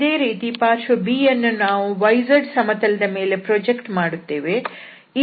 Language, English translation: Kannada, So, similarly we obtain for the side B when we project on this yz plane